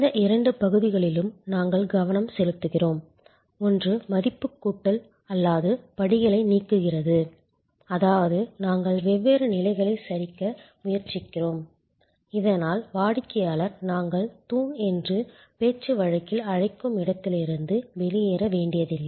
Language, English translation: Tamil, We focus on these two areas, one is eliminating a non value adding steps; that means, we try to collapse different stages, so that the customer does not have to run from what we colloquially call pillar to post